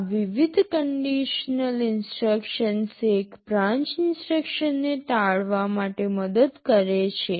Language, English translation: Gujarati, This conditional variety of instructions helps in avoiding one branch instruction